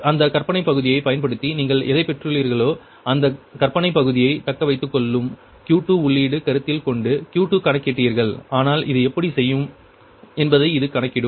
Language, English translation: Tamil, that means what we will do, that imaginary part, whatever you have got it, using that q two, v ah, your considering that q two injection, that imaginary part will retained, but this one will compute this one will find out how will do this